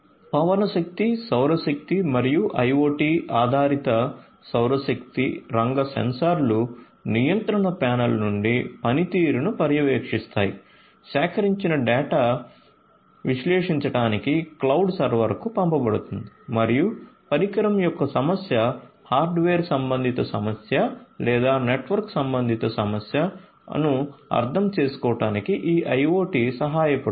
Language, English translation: Telugu, So, wind energy solar energy as well IoT based solar energy sector sensors would monitor the performances from the control panel, the gathered data will be sent to the cloud server to analyze and this IoT would help to understand the problem of device whether it is the hardware related problem or the network related problem